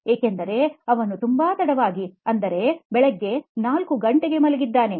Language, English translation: Kannada, Because he has slept at 4 am in the morning